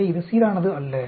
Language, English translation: Tamil, So, it is not uniform